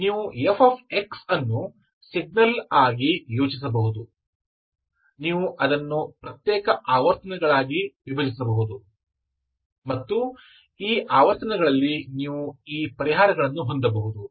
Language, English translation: Kannada, You can think of fx as the signal, you can split it into discrete frequencies, at these frequencies you can have these solutions, okay